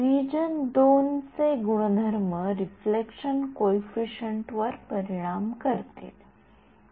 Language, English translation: Marathi, Yeah of course, the region 2 properties will influence the reflection coefficient